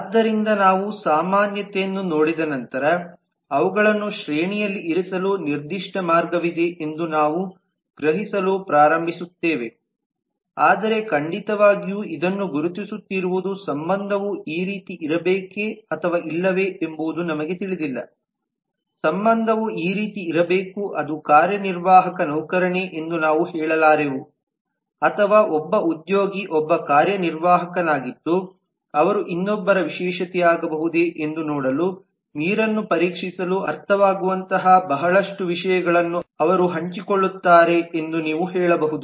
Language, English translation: Kannada, so once we see that commonality we start sensing that there is ceratin way to put them in a hierarchy, but of course just be identifying this we do not know if the relationship should be like this or the relationship should be like this that is we cannot say whether executive is an employee or an employee is an executive all that you can say that they share a lot of things that might make sense to test the waters to see if one can be a specialization of the other